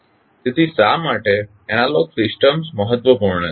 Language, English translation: Gujarati, So, why the analogous system is important